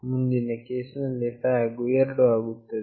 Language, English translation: Kannada, In the next case, the flag is 2